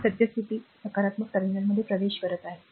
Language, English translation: Marathi, And this is your this is this current is entering the positive terminal